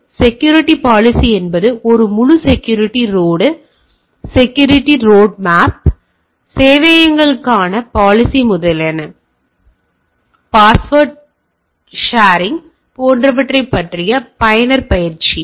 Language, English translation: Tamil, So, security policy is a full security roadmap, right usage policy for networks servers etcetera, user training about password sharing etcetera